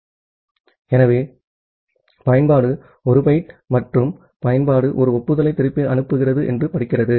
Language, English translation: Tamil, So, the application reads that 1 byte and application sends back an acknowledgement